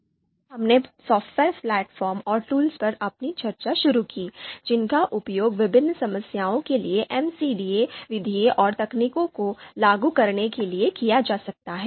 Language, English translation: Hindi, Then we you know started our discussion on the software platforms software platforms and tools that could actually be used to apply MCDA methods and techniques to different problems, so that was also discussed